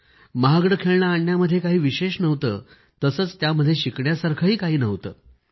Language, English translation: Marathi, In that expensive toy, there was nothing to create; nor was there anything to learn